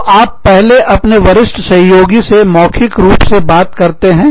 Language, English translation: Hindi, So, you first talk to your superiors, orally